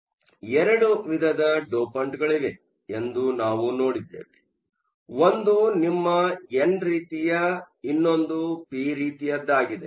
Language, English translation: Kannada, So, we also saw that there were 2 types of dopants; one was your n type, the other was the p type